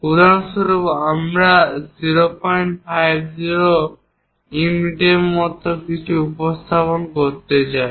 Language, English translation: Bengali, For example, I would like to represent something like 0